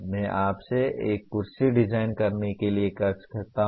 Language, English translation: Hindi, I can ask you to design a chair